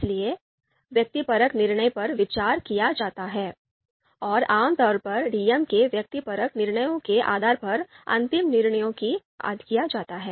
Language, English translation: Hindi, So subjective judgments are taken in consideration and typically based on the subjective judgments of DMs, the final decision is made